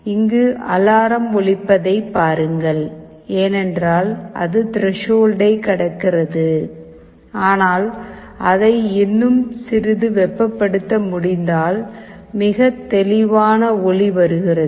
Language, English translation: Tamil, See this is alarm is sounding because it is just crossing threshold, but if we can heat it a little further then there will be a very clear sound that will be coming